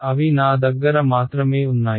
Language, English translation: Telugu, They are I have just